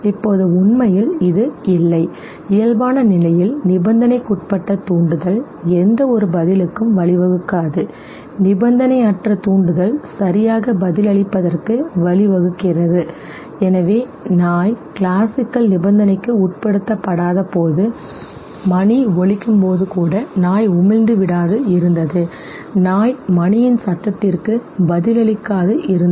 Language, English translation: Tamil, Now this is actually what happens no Under normal condition, conditioned stimulus leading to no response, unconditioned stimulus response leads to response okay, so when the dog was not classically conditioned even if the bell would be rung the dog will not salivate, no dog will not respond to sound of the bell okay